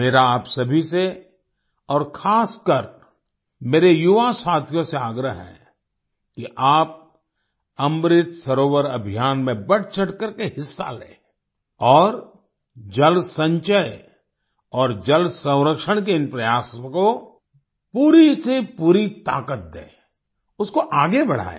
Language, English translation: Hindi, I urge all of you, especially my young friends, to actively participate in the Amrit Sarovar campaign and lend full strength to these efforts of water conservation & water storage and take them forward